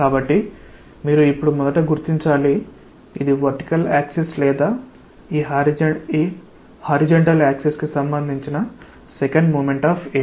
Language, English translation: Telugu, So, you have to now figure out first that is it second moment of area with respect to this vertical axis or this horizontal axis